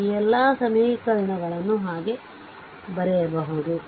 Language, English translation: Kannada, So, all these equations now you can write right